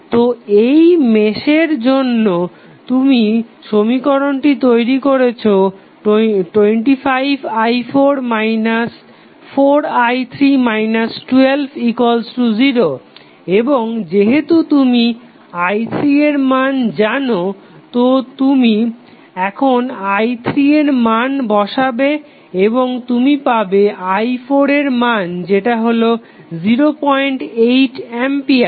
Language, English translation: Bengali, So, for this mesh you have developed the equation like 25i 4 minus 4i 3 minus 12 equal to 0 and since you know the value of i 3 you put the value of i 3 here and you will get i 4 is nothing but 0